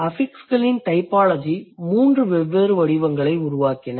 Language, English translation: Tamil, And in the typology of affixes, three different patterns are emerging